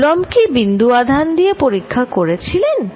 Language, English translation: Bengali, Did Coulomb's do experiment with point charges